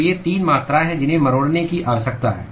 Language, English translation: Hindi, So, these are the 3 quantities that needs to be tweaked